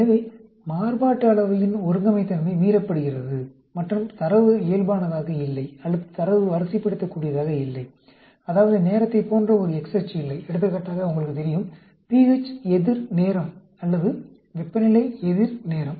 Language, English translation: Tamil, So, homogeneity of variance is violated, and the data is not normal, or the data is ordinal, that means, there is no x axis like a time, for example; you know, pH versus time, or temperature versus time